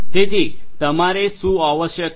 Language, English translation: Gujarati, So, essentially what you have